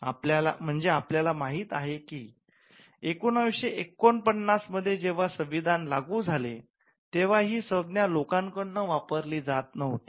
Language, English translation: Marathi, So, we know that around 1949 the time when the constitution was coming into effect; the term was not in popular usage